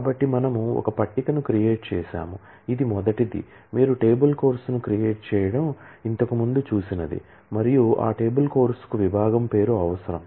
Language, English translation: Telugu, So, we have created a table this is the first one is what you have seen earlier creating the table course and that table course needs the name of the department